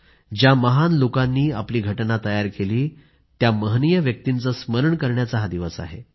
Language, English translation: Marathi, A day to remember those great personalities who drafted our Constitution